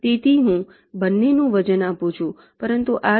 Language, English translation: Gujarati, so i give a weight of two, but in this case b one, b two and b three